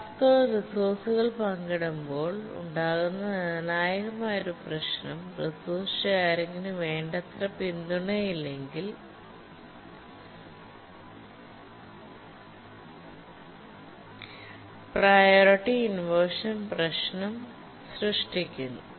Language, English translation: Malayalam, One of the crucial issue that arises when tasks share resources and we don't have adequate support for resource sharing is a priority inversion problem